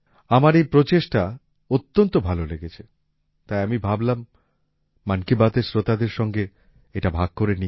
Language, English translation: Bengali, I liked this effort very much, so I thought, I'd share it with the listeners of 'Mann Ki Baat'